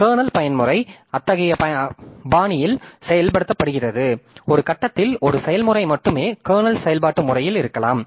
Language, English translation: Tamil, So, kernel mode may be the kernel mode is implemented in such a fashion that at a, uh, at one point of time only one process may be in the kernel mode of operation